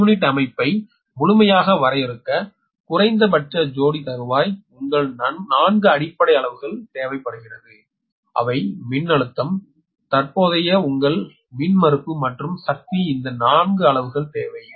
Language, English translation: Tamil, to completely define a per unit system minimum, your four base quantities are required, that is voltage, current, your impedance and power